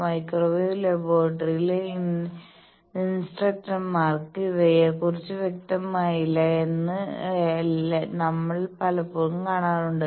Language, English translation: Malayalam, The many times we see that instructors of microwave laboratory they also are not clear about these